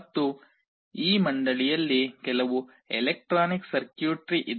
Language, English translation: Kannada, And in this board itself there is some electronic circuitry